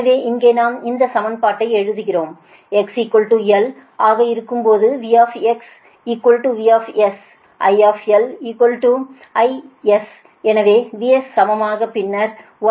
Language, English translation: Tamil, so here we write this equation: when x is equal to l, v x is equal to v s and i l is equal to i s, so v s is equal to